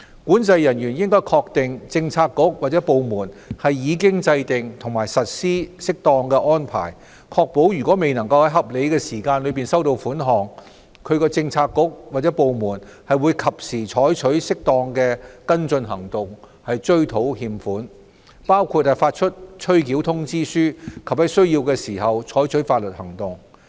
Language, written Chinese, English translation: Cantonese, 管制人員應確定政策局/部門已制訂及實施適當安排，確保如未能在合理時間內收到款項，其政策局/部門會及時採取適當的跟進行動追討欠款，包括發出催繳通知書及在需要時採取法律行動。, They should satisfy themselves that appropriate arrangements are made and put in place in their bureauxdepartments such that if payment is not received within a reasonable time appropriate and timely follow - up actions are taken to recover the arrears . Such actions include the issue of reminders and taking legal action as necessary